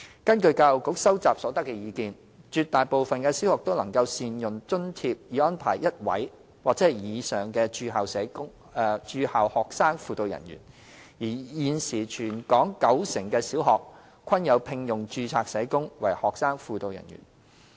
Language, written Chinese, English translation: Cantonese, 根據教育局收集所得的意見，絕大部分的小學都能善用津貼以安排1位或以上的駐校學生輔導人員；而現時全港九成的小學均有聘用註冊社工為學生輔導人員。, The feedback received by the Education Bureau indicates that the vast majority of primary schools could make good use of the funding to arrange for one or more school - based student guidance personnel and currently 90 % of the public sector primary schools in the territory have employed registered social workers as student guidance personnel